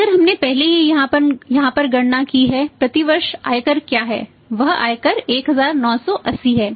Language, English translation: Hindi, Income tax we have already calculated here what is income tax year that income tax in 1980